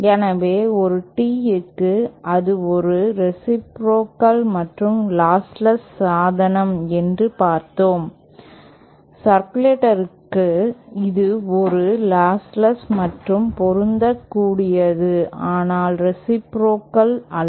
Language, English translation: Tamil, So for a tee we saw that it was a reciprocal and lossless device, for circulator, it is a lossless and matched but not reciprocal